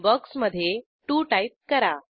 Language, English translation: Marathi, Enter 2 in the box